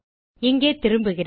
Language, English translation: Tamil, I return here